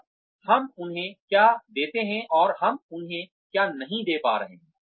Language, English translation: Hindi, And, what we give them and, what we are not able to give them